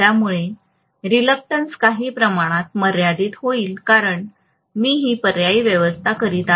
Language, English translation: Marathi, So the reluctance will be somewhat limited because I am alternately arranging this